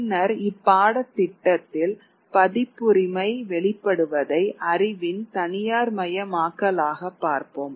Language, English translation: Tamil, And later on in the course we will be looking at the emergence of copyright as a kind of privatization of knowledge